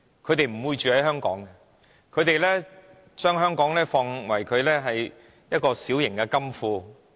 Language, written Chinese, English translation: Cantonese, 他們不會在香港居住，他們只將香港當作自己的小型金庫。, These people do not live in Hong Kong but they treat Hong Kong as their own small coffers